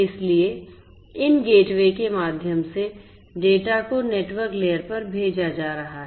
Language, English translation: Hindi, So, through these gateways the data are going to be sent to the network layer; the network layer